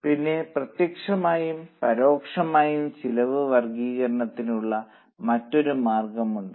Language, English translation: Malayalam, Then there is another way of classifying the cost that is by direct and indirect